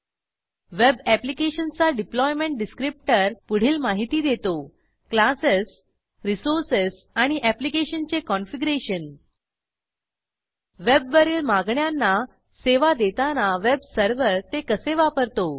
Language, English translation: Marathi, A web applications deployment descriptor describes: the classes, resources and configuration of the application and how the web server uses them to serve web requests The web server receives a request for the application